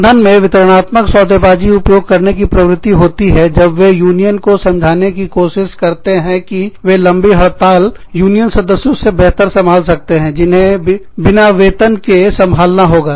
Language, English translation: Hindi, Management tends to use, distributive bargaining, when it tries to convince the union, that it can sustain a long strike, much better than union members, who will have to survive, without their paychecks